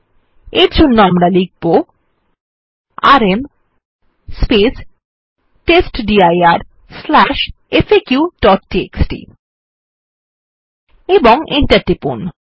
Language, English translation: Bengali, For this we type rm space testdir/faq.txt and press enter